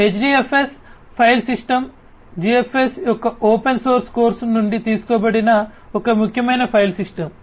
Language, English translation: Telugu, So, HDFS file system is a notable file system derived from the open source course of GFS